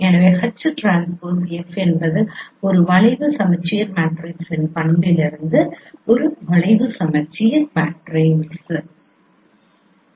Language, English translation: Tamil, So h transpose f is a skeu symmetric matrix from the property of a skewsyometric matrix